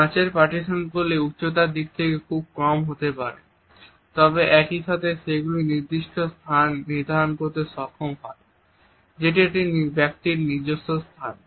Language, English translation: Bengali, There may be small glass partitions the glass partitions may be very low in terms of height, but at the same time they are able to designate a particular space which is one’s own space